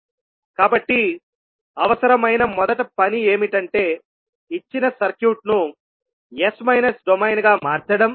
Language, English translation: Telugu, So first task which is required is that convert the given circuit into s minus domain